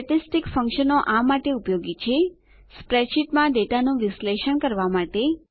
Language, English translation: Gujarati, Statistical functions are useful for analysis of data in spreadsheets